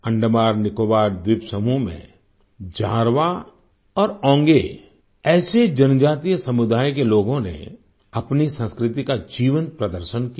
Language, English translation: Hindi, In the AndamanNicobar archipelago, people from tribal communities such as Jarwa and Onge vibrantly displayed their culture